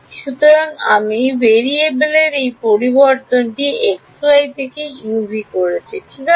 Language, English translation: Bengali, So, I am doing this change of variable from x y to u v right